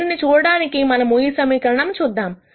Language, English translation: Telugu, To see this, let us look at this equation